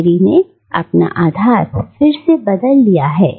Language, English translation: Hindi, More recently, Lahiri has shifted base again